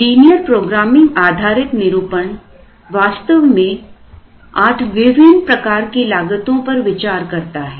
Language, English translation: Hindi, The linear programming based formulation, actually considered a maximum of eight different costs